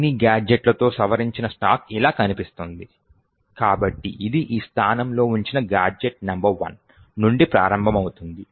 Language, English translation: Telugu, The modified stack with all gadgets placed look something like this, so it starts from gadget number 1 placed in this location